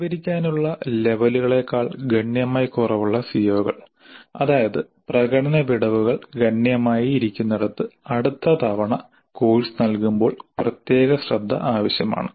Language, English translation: Malayalam, The COs where the attainment levels are substantially lower than the target, that means where the performance gaps are substantial would require special attention the next time the course is delivered